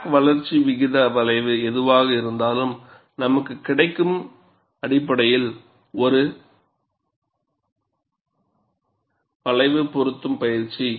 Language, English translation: Tamil, Whatever the crack growth rate curve, the form that we get, it is essentially a curve fitting exercise